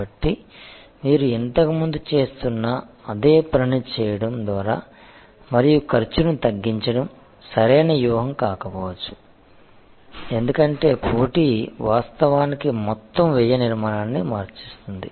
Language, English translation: Telugu, So, then just by doing the same thing that you have being doing earlier and reducing cost may not be the right strategy, because the competition has actually change the total cost structure